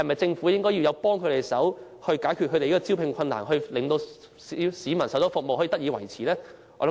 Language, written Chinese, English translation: Cantonese, 政府應否幫助這些行業解決招聘上的困難，令為市民提供的服務得以維持呢？, Should the Government help such industries solve their problems so that they can sustain the provision of services for the public?